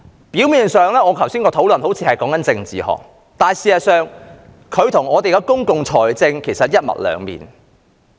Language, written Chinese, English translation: Cantonese, 表面上，我剛才好像是在談論政治學，但實際上，我所說的與公共財政是一體兩面。, Apparently it seemed that I was talking about politics just now but in fact my remarks made earlier and public finance are the two sides of the same coin